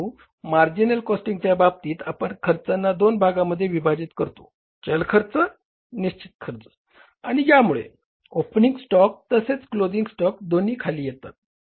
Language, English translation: Marathi, But under the marginal costing, you bifurricular the cost into the variable cost and into the fixed cost and because of that, both the value of the opening stock as well as the closing stock gets down